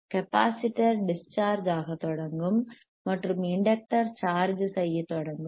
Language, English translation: Tamil, tThe capacitor will startcharge discharging and the inductor will start charging